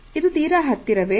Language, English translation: Kannada, Is it too close